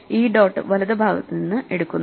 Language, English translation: Malayalam, So, this dot is taken from the right